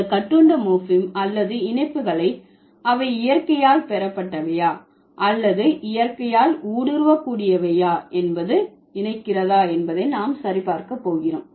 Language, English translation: Tamil, We are going to check these bound morphemes or the affixes whether they are derivational by nature or inflectional by nature